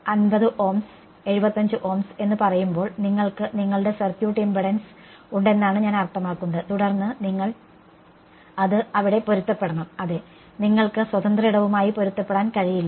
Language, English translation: Malayalam, I mean you have your circuit impedance as let us say 50 Ohms, 75 Ohms and then you have to match it over there you yeah you cannot match free space